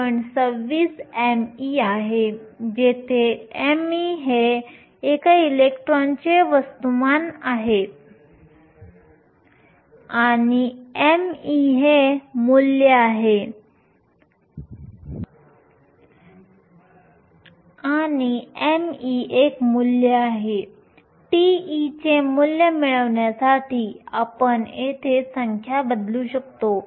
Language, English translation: Marathi, 26 m e, where m e is the mass of an electron and m e has a value, we can substitute the numbers here to get the value for tau e